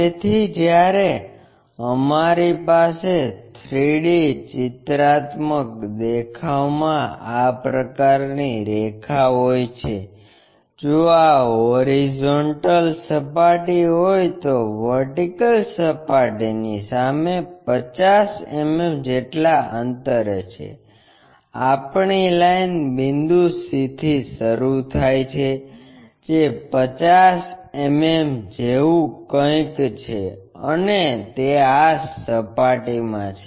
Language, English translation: Gujarati, So, when we have such kind of line in 3D pictorial view, if this is the horizontal plane, in front of vertical plane at 50 mm, our line point begins in capital C that is something like 50 mm, and it is in this plane